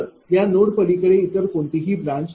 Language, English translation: Marathi, So, beyond this node only 2 branches are there